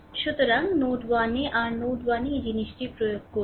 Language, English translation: Bengali, So, at node 1 this is your node 1 you apply this thing